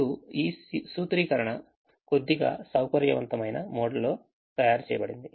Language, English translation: Telugu, no, this formulation is made in a slightly flexible mode